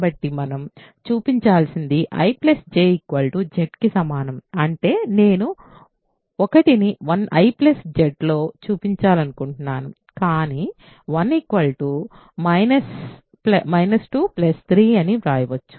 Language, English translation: Telugu, So, all we need to show we want to show I plus J is equal to Z; that means, I want to show 1 is in I plus Z, but then 1 can be written as minus 2 plus 3